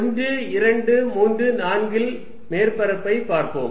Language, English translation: Tamil, Let us look at surface 1, 2, 3, 4